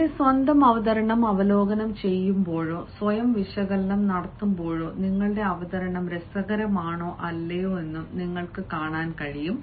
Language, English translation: Malayalam, and when you are reviewing your own presentation or making self analysis, you can also see whether your presentation is interesting or not